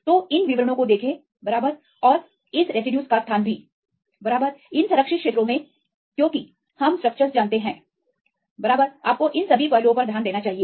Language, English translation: Hindi, So, look into these details right and also the location of this residues, right, in the conserved regions because we know the structures right you need to take into consideration all these aspects